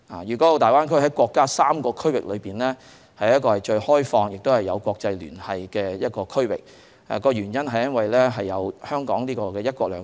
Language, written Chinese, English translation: Cantonese, 粵港澳大灣區在國家3個區域發展中是最開放、最有國際聯繫的，原因是香港有"一國兩制"。, Among the three regions of development in the country the Greater Bay Area is the most open and has the most international connections attributive to the principle of one country two systems of Hong Kong